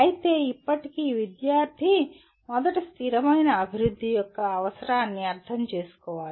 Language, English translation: Telugu, But still student should understand the need for sustainable development first